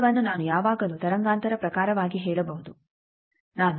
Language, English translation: Kannada, Distance I can always tell that in terms of wavelength suppose I am moving a 4